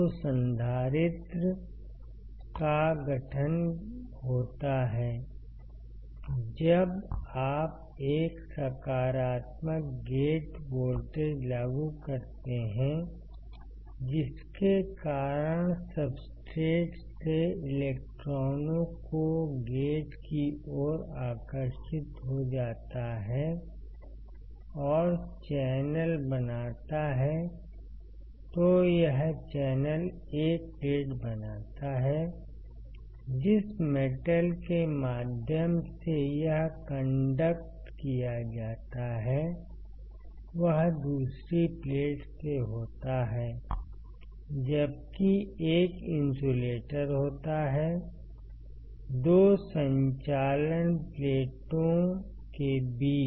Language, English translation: Hindi, So, here we can see that there is formation of capacitor, when you apply a positive gate voltage, and the due to which the electrons from the substrate gets attracted towards the gate and forms the channel, this channel forms 1 plate, the metal through which the conducts are taken is from another plate